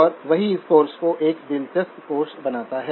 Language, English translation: Hindi, And that is what makes this course an interesting course